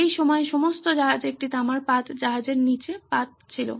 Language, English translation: Bengali, All ships during this time had a copper sheet, sheet underneath the ship